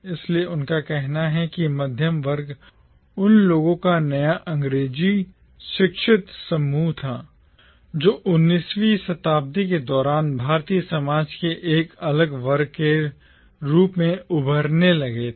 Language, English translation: Hindi, So, he says that middle class was the new English educated group of people who started emerging as a distinct section of the Indian society during the 19th century